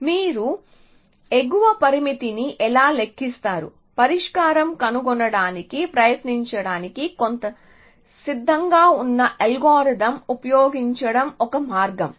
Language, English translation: Telugu, Essentially, how do you compute an upper bound, one way is to use some ready algorithm to try to find the solution